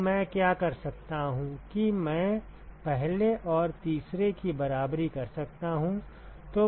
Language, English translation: Hindi, Now what I can do is I can equate first and the third